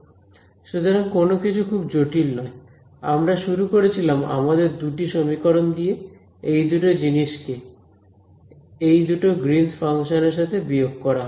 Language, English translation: Bengali, So, nothing very complicated we basically took our we started with our two equations over here these two guys, subtracted with these two greens functions I have not told you anything about these greens function